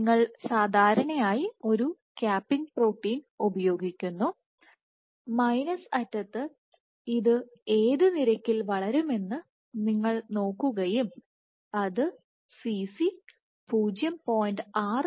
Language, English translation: Malayalam, So, you typically use a capping protein and you see at what rate this would grow this for the minus end it turns out that Cc is 0